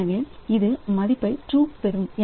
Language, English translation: Tamil, So, it will be getting the value true